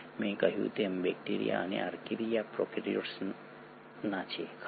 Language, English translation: Gujarati, As I said bacteria and Archaea belong to prokaryotes, right